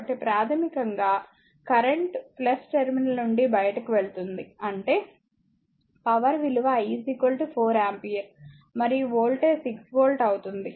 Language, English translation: Telugu, So, basically the current actually leaving the your plus terminal; that means, your power, power will be your I is given 4 ampere and voltage is 6 volt